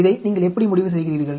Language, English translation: Tamil, How do you decide